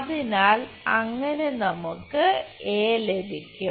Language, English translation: Malayalam, So, that we can get a